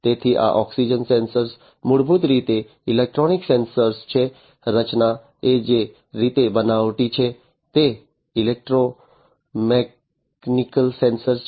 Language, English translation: Gujarati, So, this oxygen sensor is basically it is a electrochemical sensor, the composition is you know the way it is fabricated it is a electrochemical sensor